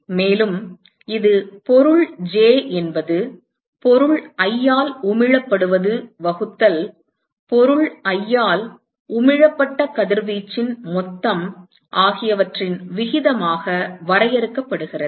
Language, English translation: Tamil, And it is defined as the ratio of radiation received by let us say object j that is emitted by object i divided by total radiation emitted by object i